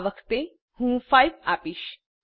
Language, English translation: Gujarati, I will give 5 this time